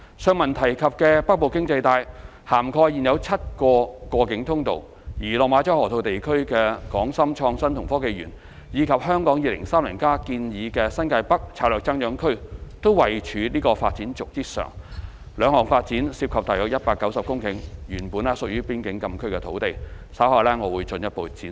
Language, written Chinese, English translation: Cantonese, 上文提及的"北部經濟帶"，涵蓋現有7個過境通道，而落馬洲河套地區的港深創新及科技園，以及《香港 2030+》建議的新界北策略增長區都位處這條發展軸之上，這兩項發展涉及約190公頃原本屬於邊境禁區的土地，稍後我會進一步闡述。, The above mentioned northern economic belt covers seven existing boundary crossings while the Hong Kong - Shenzhen Innovation and Technology Park in the Lok Ma Chau Loop as well as the strategic growth area in the New Territories North NTN proposed in the Hong Kong 2030 study also fall on this development axis . These two developments involve approximately 190 hectares of the original FCA land . I will further elaborate on this later